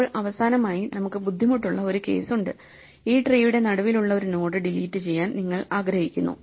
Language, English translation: Malayalam, Now, finally, we have the difficult case which is you want to delete a node which is in the middle of the tree, in case this case 37